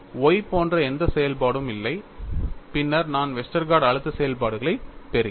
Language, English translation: Tamil, No function like Y exists at all, and then I get Westergaard stress functions